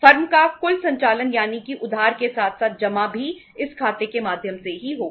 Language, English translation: Hindi, Total operations of the firm that is the borrowing as well as deposit will be through this account only